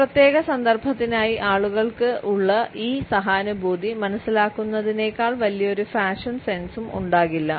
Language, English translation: Malayalam, No fashion sense can be greater than this empathetic understanding which people have for a particular context